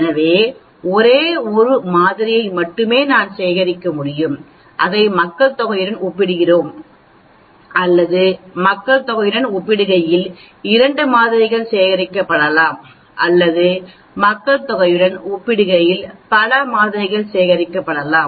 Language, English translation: Tamil, So we can have only one sample collected, comparing it with the population or we could be having two samples collected, comparing with the population or we could have multiple samples collected, comparing with the population